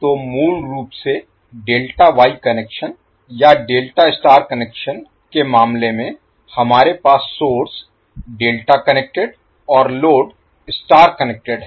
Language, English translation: Hindi, So basically, in case of Delta Wye connection or Delta Star connection, we have source delta connected and the load star connected